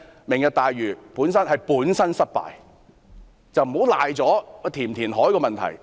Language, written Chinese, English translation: Cantonese, "明日大嶼"是本身失敗，而這與應否填海的問題無關。, Lantau Tomorrow is a failure in itself and this has nothing to do with the issue of reclamation